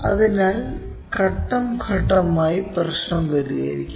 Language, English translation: Malayalam, So, let us solve that problem step by step